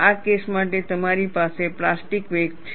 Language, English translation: Gujarati, For this case, you have the plastic wake